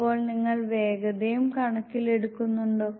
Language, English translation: Malayalam, So, do you taken to account speed also